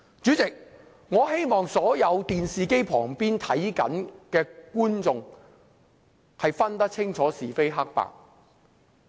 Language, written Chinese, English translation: Cantonese, 主席，我希望所有正在電視機旁觀看直播的觀眾能辨清是非黑白。, Chairman I wish the audience for this live meeting broadcast can distinguish right from wrong